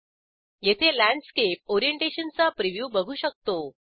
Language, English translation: Marathi, Here we can see the preview of Landscape Orientation